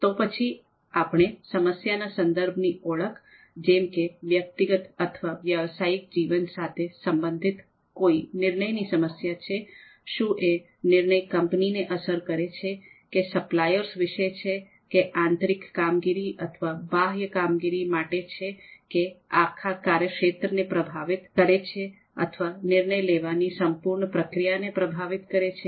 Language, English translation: Gujarati, Then identifying the context of the problem, so whether it is you know a decision whether it is a decision problem related to personal or professional life, whether it affects the company, whether it is about the suppliers, whether it is for the internal functioning, whether it is for external functioning and the overall context of the domain that is of course going to influence the the whole decision making process